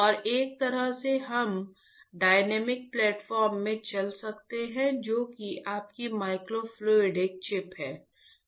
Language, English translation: Hindi, And, in a way that we can run in the dynamic platform which is your micro fluidic chip